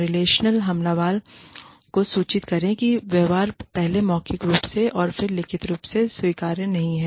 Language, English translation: Hindi, Inform the relational aggressor, that the behavior is not acceptable, first verbally, and then, in writing